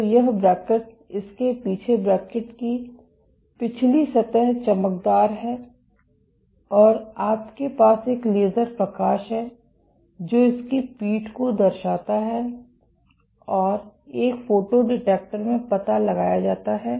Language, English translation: Hindi, So, this cantilever, so at the back of it, the back surface of the cantilever is shiny and you have a laser light which reflects of its back and gets detected in a photo detector